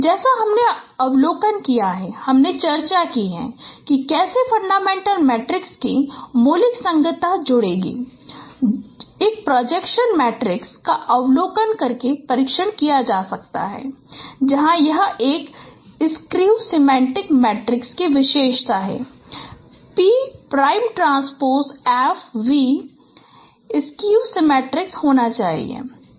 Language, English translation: Hindi, Like you have observed, you have discussed how fundamental compatibility of fundamental matrix with pairs of projection matrices could be tested by observing whether it is that there is a skew symmetric matrix property, p prime transpose f, p should be skew symmetricsics